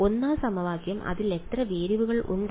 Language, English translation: Malayalam, The 1st equation how many variables are in it